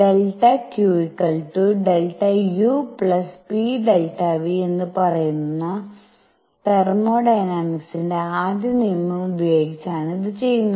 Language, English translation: Malayalam, This is done using first law of thermodynamics which says that delta Qis equal to delta U plus p delta V